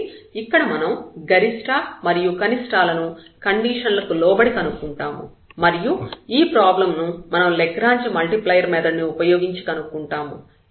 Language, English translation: Telugu, So, the problem is to find the maxima minima subject to this condition and that is the problem which we will solve using the Lagrange multiplier